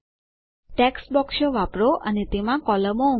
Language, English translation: Gujarati, Use text boxes and add columns to it